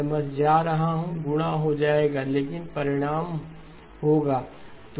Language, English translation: Hindi, I am just going to, the multiplication will get done, but result will be